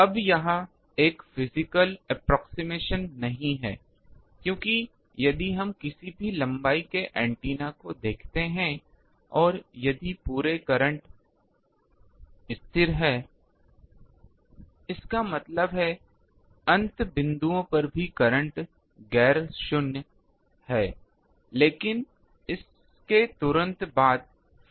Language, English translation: Hindi, Now, that is not a physical approximation because, if we look at any length of an antenna and if throughout the current is constant; that means, at the end points also, the current is ah nonzero, but immediately after that there is free space